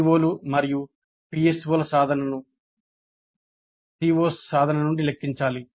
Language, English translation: Telugu, So, attainment of the POs and PSOs need to be computed from the attainment of COs